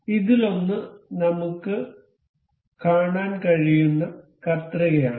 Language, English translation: Malayalam, So, one of this is scissor we can see